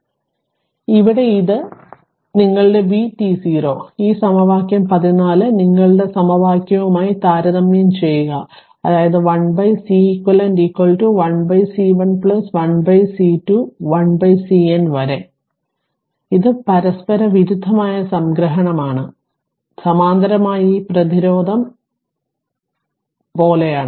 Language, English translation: Malayalam, So, here it is your that is your v t 0 is equal to all these thing therefore, if you compare this equation 14 with equation your ah with this equation right so; that means, 1 upon Ceq is equal to 1 upon C 1 plus 1 upon C 2 up to 1 upon C N that is all summation of reciprocal it is something like this when we are obtaining ah your resistance in parallel